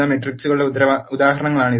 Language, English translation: Malayalam, These are the examples of matrices